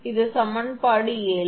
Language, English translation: Tamil, This is equation 7